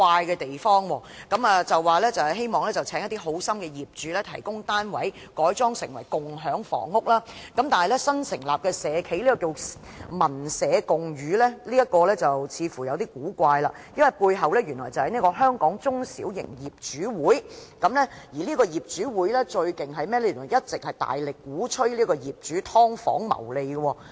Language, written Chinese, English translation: Cantonese, 政府表示希望邀請一些好心的業主提供單位，改裝成為共享房屋，但有一間新成立的社企，名為"民社相寓"，似乎有點古怪，因為該社企的背後，原來是香港中小型業主會，而香港中小型業主會最厲害的是，他們一直大力鼓吹業主"劏房"謀利。, The Government has expressed its wish to invite charitable owners to provide their flats for conversion into community housing . Yet a newly established social enterprise called Gatherhome seems kind of weird because behind this social enterprise there is the Hong Kong Small and Medium Property Owners Association . The most impressive point about this Hong Kong Small and Medium Property Owners Association is the great efforts it has made all along in advocating property owners to profiteer by subdividing their flats